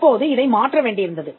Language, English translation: Tamil, Now this had to be changed